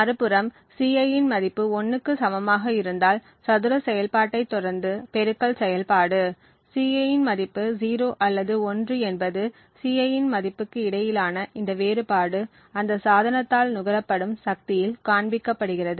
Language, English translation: Tamil, On the other hand if we have a value of Ci to be equal to 1, then the square operation is followed by the multiplication operation, this difference between a value of Ci whether the value of Ci is 0 or 1 shows up in the power consumed by that device